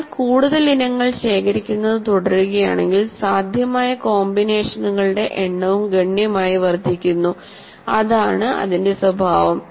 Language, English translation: Malayalam, And if you keep accumulating more items, the number of possible combinations also grows exponentially